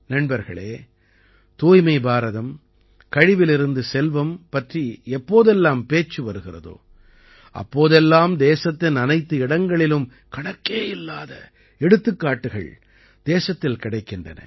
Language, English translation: Tamil, Friends, whenever it comes to Swachh Bharat and 'Waste To Wealth', we see countless examples from every corner of the country